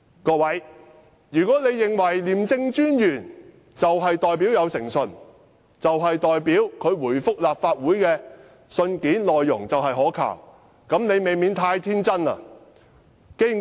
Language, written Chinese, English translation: Cantonese, 各位，如果你們認為廉政專員有誠信，他回覆立法會的信件內容可靠，你們難免太天真了。, If Honourable colleagues think that the Commissioner is in good faith and his reply to the Legislative Council is reliable they are too naive